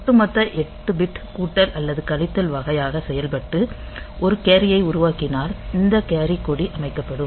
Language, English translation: Tamil, So, if the overall 8 bit addition or subtraction type of operation generates a carry then this carry flag will be set